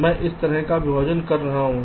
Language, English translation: Hindi, lets start with an initial partition like this